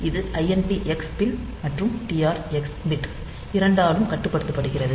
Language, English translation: Tamil, So, it is controlled by both the INT x pin and the TR x bit